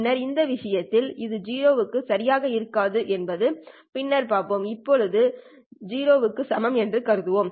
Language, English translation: Tamil, Later we will see that this will not be exactly equal to 0 for this case